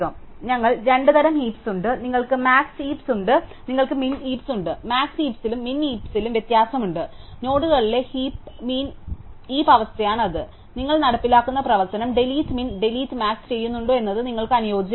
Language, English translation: Malayalam, So, we have two types of heaps, you have max heaps and you have min heaps and all the differs in max heaps and min heaps is the heap condition on the nodes and the correspondingly whether the operation you implement is delete min and delete max